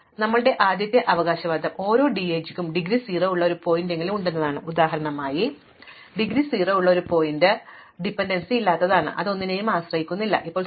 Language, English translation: Malayalam, So, our first claim is that every DAG has at least one vertex with indegree 0, in terms of our example a vertex with indegree 0 is something which has no dependencies, nothing it does not depend on anything, there is nothing pointing into it